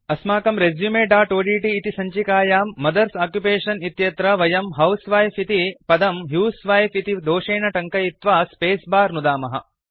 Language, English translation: Sanskrit, In our resume.odt file under Mothers Occupation, we shall type a wrong spelling for housewife in the sentence, as husewife and press the spacebar